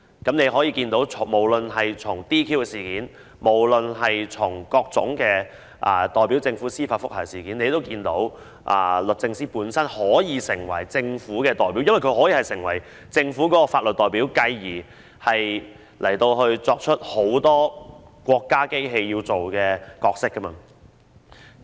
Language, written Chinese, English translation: Cantonese, 大家可以看到，從 "DQ" 事件或各宗律政司代表政府進行司法覆核的案件中可見，律政司可以成為政府的代表，而既然它可以成為政府的法律代表，它便可發揮很多國家機器所擔當的角色。, As we can see in the DQ incidents in which Members were disqualified or various judicial review cases to which DoJ is a party representing the Government DoJ can be the Governments representative and since it can be the Governments legal representative it can perform many roles of a state machine